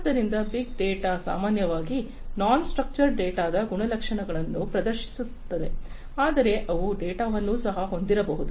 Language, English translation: Kannada, So, big data are typically the ones which exhibit the properties of non structured data, but they could also have structure data